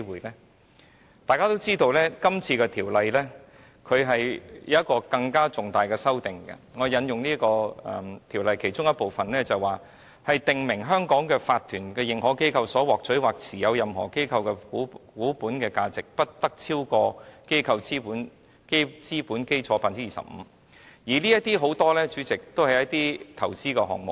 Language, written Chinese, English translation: Cantonese, 大家也知道，《條例草案》有一項更重大的修訂，我引述《條例草案》其中的修訂，當中訂明在香港成立為法團的認可機構所獲取或持有任何機構的股本價值，不得超過機構資本基礎的 25%， 主席，這些很多也是投資的項目。, As Members all know there is an even more important amendment in the Bill . Let me cite this amendment in the Bill . It is provided that an authorized institution incorporated in Hong Kong shall not acquire or hold share capital of any other company to a value exceeding 25 % of its capital base